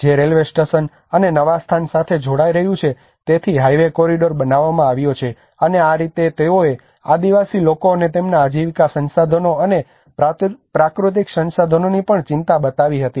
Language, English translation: Gujarati, Which is connecting to the railway station and the new location as well so the highway corridor has been constructed and this is how they even showed the concern of the tribal people and their livelihood resources and also the natural resources as well